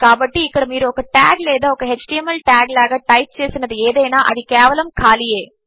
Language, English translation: Telugu, So whatever you type in here as tag or as html tag, its just blank